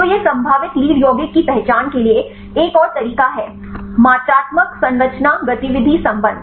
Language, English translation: Hindi, So, this is another approach to identify the potential lead compound is quantitative structure activity relationship